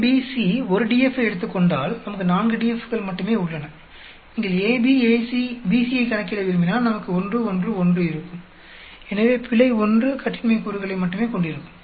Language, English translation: Tamil, If A, B, C take away one DF, we are left with only four DFs and if you want to calculate AB, AC, BC then we will have 1, 1, 1, so error will end up having only 1 degree of freedom